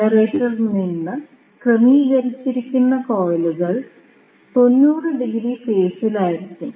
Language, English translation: Malayalam, So, the coils which will be arranged in the generator will be 90 degrees out of phase